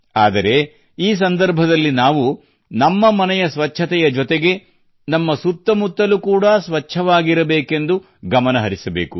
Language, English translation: Kannada, But during this time we have to take care that our neighbourhood along with our house should also be clean